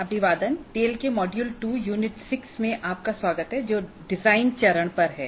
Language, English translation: Hindi, Greetings, welcome to module 2, Unit 6 of tail, which is on design phase